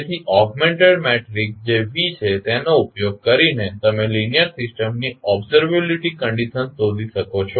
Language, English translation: Gujarati, So, using the augmented matrices that is V, you can find out the observability condition of linear a system